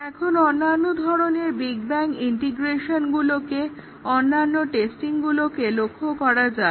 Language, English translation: Bengali, Now, let us look at the other types of big bang integration, other types of testing